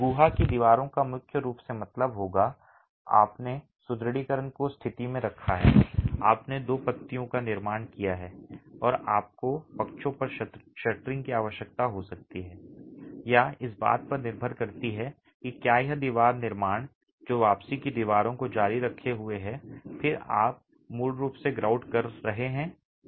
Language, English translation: Hindi, The cavity walls would primarily mean you have placed the reinforcement in position, you have constructed the two leaves and you might need shuttering on the sides or depends on whether there is wall construction that is continuing, return walls that are continuing and then you basically grout that cavity